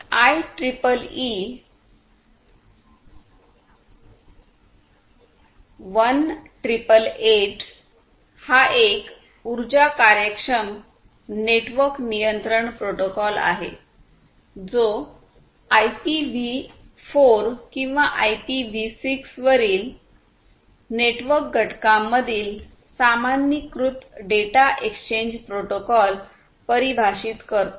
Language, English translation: Marathi, IEEE 1888 this one is an energy efficient network control protocol, which defines a generalized data exchange protocol between the network components over IPv4 or IPv6